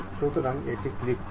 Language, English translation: Bengali, So, click that and ok